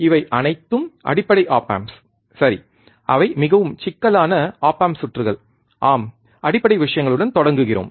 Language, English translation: Tamil, These are all basic op amps ok, they are very complex op amp circuits, we start with the basic things